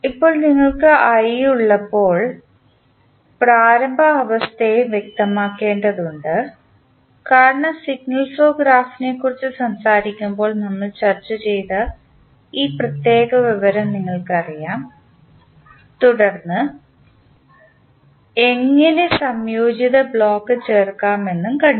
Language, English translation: Malayalam, Now, when you have i you need to specify the initial condition also because you have this particular aspect we discussed when we were talking about the signal flow graph then how to add the integrated block